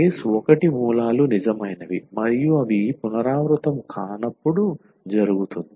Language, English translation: Telugu, The case I when the roots are real and non repeated that is the case I